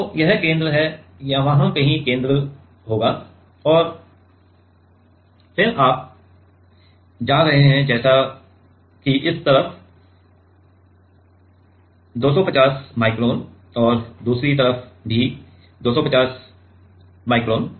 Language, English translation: Hindi, So, this is center, there the here somewhere will be the center and then you are going to let us say 250 micron on this side and also 250 micron on the other side